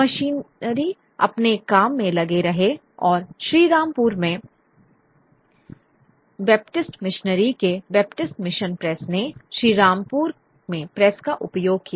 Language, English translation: Hindi, The missionaries continued to operate and the Baptist missionaries at the at Sri Rampo, the Baptist Mission Press in Sri Rampur used the press